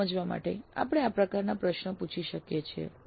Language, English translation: Gujarati, To get that idea we can ask this kind of a question